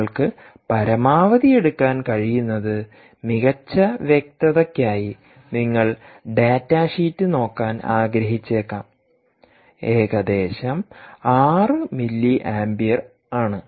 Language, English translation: Malayalam, the maximum you can draw you may want to look up the data sheet for better clarity is that is about six milliampere